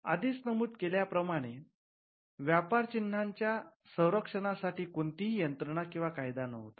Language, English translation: Marathi, As we had already mentioned, there was no mechanism or law for protecting trademarks